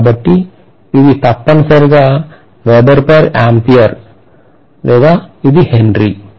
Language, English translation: Telugu, So this is essentially Weber per ampere which is Henry